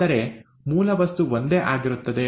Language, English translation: Kannada, But, the basic material is the same